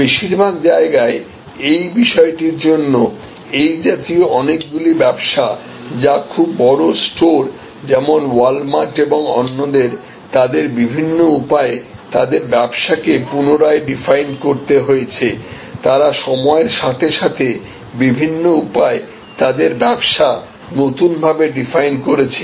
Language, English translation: Bengali, And for that matter in most places, many such businesses which are very large stores, like wall mart and others they have to redefine in many ways, they have redefine their business in many ways overtime